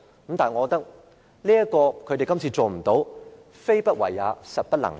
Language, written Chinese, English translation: Cantonese, 不過，我認為他們這次沒有這樣做，非不為也，實不能也。, It is not that they choose not to do so; it is just that they cannot do so